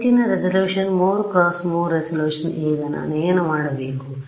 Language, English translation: Kannada, Higher resolution 3 cross 3 resolution now what do I do